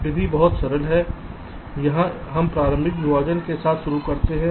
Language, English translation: Hindi, here the idea is that we start with an initial partition